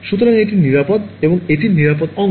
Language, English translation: Bengali, So, that is safe, the safe part of it